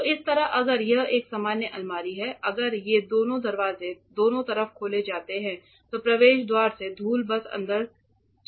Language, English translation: Hindi, So, this way if it is a normal cupboard if both these doors are opened on either side simply dust from the entrance will simply go inside